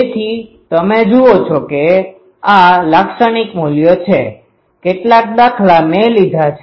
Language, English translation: Gujarati, So, you see these are the typical values; some examples I have taken